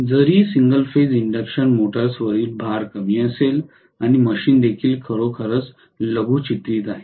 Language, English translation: Marathi, Although the load on the single phase induction motors will be small and the machine is also really miniaturized